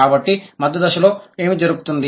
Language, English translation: Telugu, So, what happens in the intermediate stage